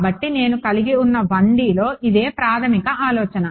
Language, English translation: Telugu, So, this is the basic the same idea here in 1D which I had